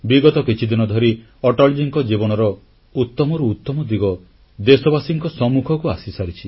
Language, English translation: Odia, During these last days, many great aspects of Atalji came up to the fore